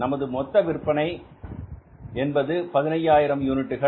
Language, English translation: Tamil, So, we have produced 160,000 units